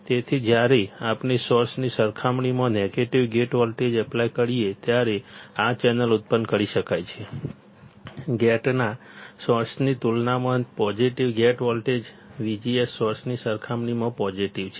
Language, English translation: Gujarati, So, this channel can be generated when we apply a negative gate voltage compared to the source, positive gate voltage compared to source of V G S gate is positive compared to source